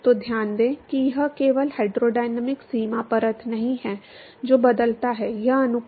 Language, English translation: Hindi, So, note that it is not just the hydrodynamic boundary layer which changes, this is the ratio